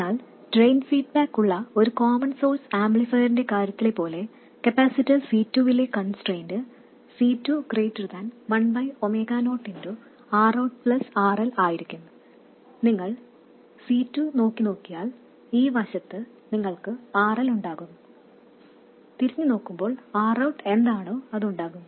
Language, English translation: Malayalam, And as with the case of a common source amplifier with drain feedback, the constraint on capacitor C2 would be that C2 should be much greater than 1 by omega 0 times R out plus RL, because if you look at C2 on this side you have RL and looking back that way you would have R out, whatever it is